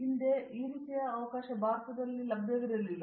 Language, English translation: Kannada, Previously this type of opportunity was not available for India